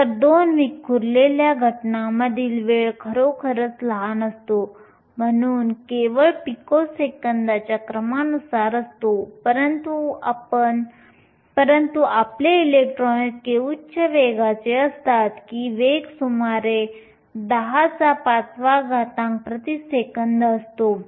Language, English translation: Marathi, So, the time between two scattering events is really small, so the time is of the order of picoseconds, but because your electrons are of such a high velocity, the velocity is around 10 to the 5 meters per second